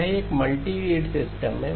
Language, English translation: Hindi, It is a multirate system